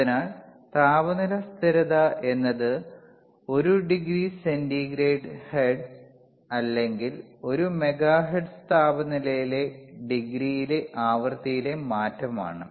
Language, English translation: Malayalam, , temperature stability cChange in the frequency per degree change in the temperature that is hertz or mega hertz per degree centigrade,